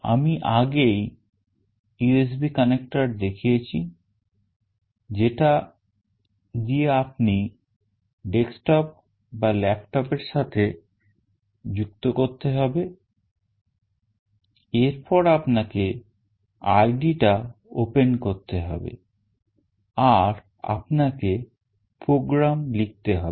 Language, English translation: Bengali, I have already shown you the USB connector through which you have to connect to either a desktop or a laptop, then you have to open the id that is there and then you need to write the program